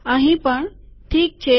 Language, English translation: Gujarati, Here also, alright